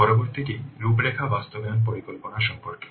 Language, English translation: Bengali, Next one is about the outline implementation plan